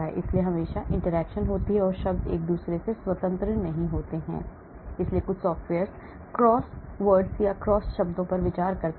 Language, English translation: Hindi, So, there is always interaction and the terms are not just independent of each other so some software consider cross terms